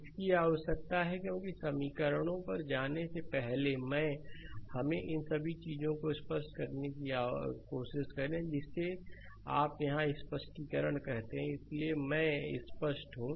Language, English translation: Hindi, This is required because before going to the equations first try to let us make all these things clear your, what you call clarification here itself right, so I am clear